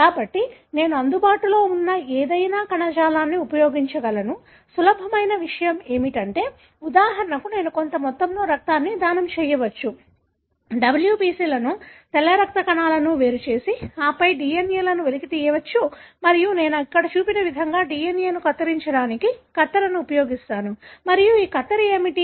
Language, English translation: Telugu, So, I can use any tissue that I think, that is available; easiest thing is that, for example I can donate some amount of blood, isolate the WBCs, white blood cells and then extract the DNA and then I use the scissors to cut the DNA like what is shown here and what are these scissors